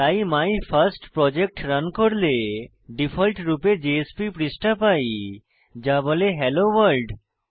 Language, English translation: Bengali, So when we run MyFirstProject by default we get a JSP page that says HelloWorld